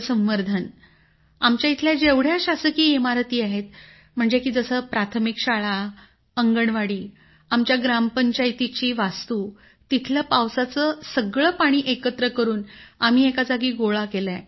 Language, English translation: Marathi, Sir, through rainwater harvesting at government buildings like primary school, Anganwadi, our Gram Panchayat building… we have collected all the rain water there, at one place